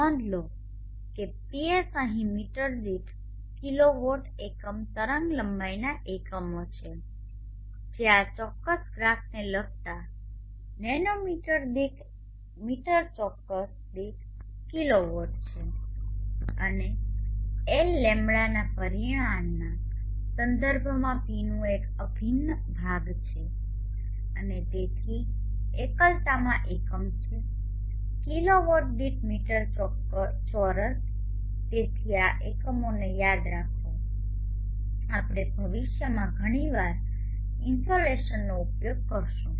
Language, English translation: Gujarati, We observe that PS here as the units of kilo watt per meter square per unit wavelength which is kilowatt per meter square per nanometer corresponding to this particular graph and L is an integral of P with respect to the lambda parameter and therefore the insulation has the units of kilowatt per meter square so remember this units we will be using insulation quite frequently in future